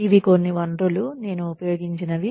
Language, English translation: Telugu, These are some of the sources, that I will be using